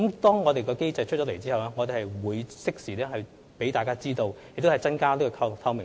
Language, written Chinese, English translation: Cantonese, 當我們訂立有關通報機制後，會適時向大家公布，以增加透明度。, We will timely release the reporting mechanism once it is ready to enhance transparency